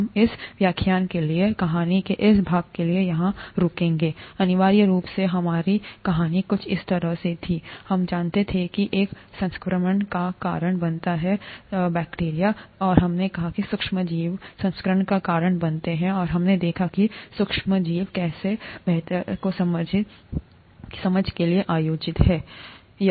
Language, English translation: Hindi, We will stop here for, for this lecture, this part of the story, essentially our story went something like this, we wanted to know, what causes infection, and we said micro organisms cause infection, and we saw how micro organisms are organized for better understanding